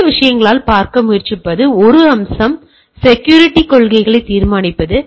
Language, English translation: Tamil, So, by these 2 things what we are trying to look at is the one aspect is that determining the security policy